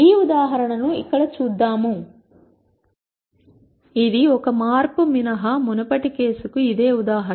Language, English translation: Telugu, Let us look at this example here, this is the same example as the previous case except for one change